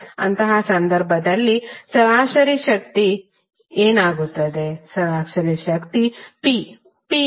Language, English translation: Kannada, In that case what will happen to average power